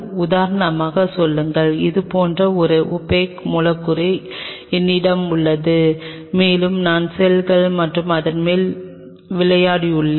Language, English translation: Tamil, Say for example, I have an opaque substrate like this, and I played the cells and top of it